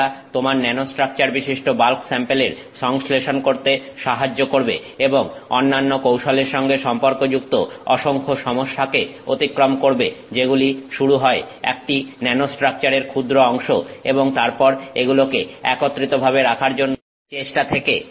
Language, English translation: Bengali, It enables your synthesis of bulk samples that have nanostructure and it overcomes many of the challenges associated with other techniques which are starting off with tiny quantities of a nanostructure and then trying to put it together